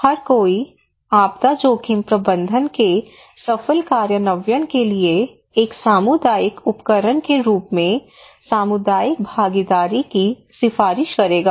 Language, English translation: Hindi, Everybody would recommend you to have community participation as a tool to successful implementations of disaster risk management